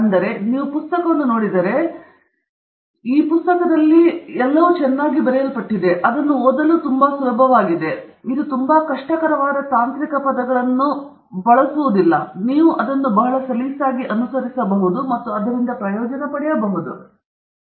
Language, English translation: Kannada, So, if you get a chance to take a look at the book, it’s a very well written book, very easy to read, doesn’t get it into too many difficult technical terms, you can follow it very smoothly, and benefit from it, and implement it pretty nicely